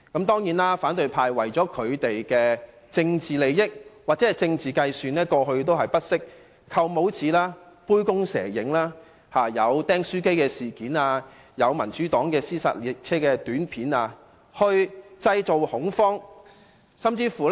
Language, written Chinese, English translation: Cantonese, 當然，反對派為了他們的政治利益或政治計算，過去不惜藉"扣帽子"、杯弓蛇影、"釘書機事件"、民主黨製作的"屍殺列車"短片等來製造恐慌。, Of course for the sake of their political interests and political calculations the opposition camp has never ceased to make attempts to create panic and such attempts include stigmatizing their rivals false alarms the staples incident and the Democratic Partys short film of zombie train